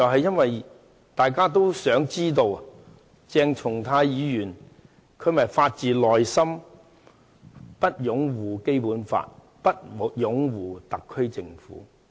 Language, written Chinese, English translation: Cantonese, 因為大家都想知道，鄭松泰議員是否發自內心地拒絕擁護《基本法》和特區政府。, For we all wish to know whether or not Dr CHENG Chung - tai refuses to uphold the Basic Law and the SAR Government from the bottom of his heart